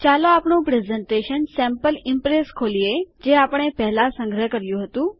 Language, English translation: Gujarati, Lets open our presentation Sample Impress which we had saved earlier